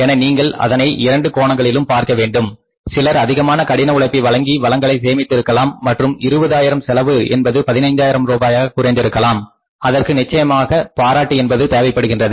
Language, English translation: Tamil, So you look it from both the angles if somebody has walked extra hard, saved the resources and that 20,000 rupees cost has been brought down to 15,000 rupees certainly needs appreciation